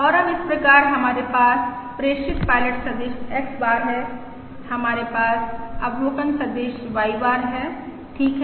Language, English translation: Hindi, And now, therefore, we have the transmitted pilot vector, X bar, we have the observation vector, Y bar